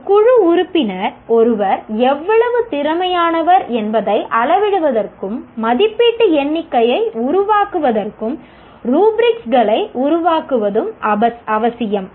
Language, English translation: Tamil, It is necessary to develop rubrics to measure how good a team member one is and to make the evaluation count